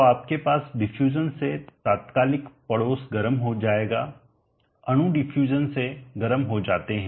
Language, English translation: Hindi, So you will have the immediate neighborhood becoming hot by diffusion the molecules become hot by diffusion